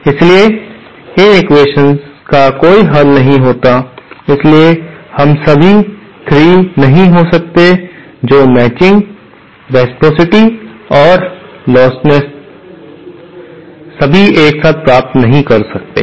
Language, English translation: Hindi, So these equations do not have a solution, so therefore we cannot have all the 3, that is matching + reciprocity + losslessness, all together cannot achieve